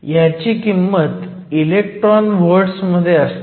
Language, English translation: Marathi, And, this is usually of the order of electron volts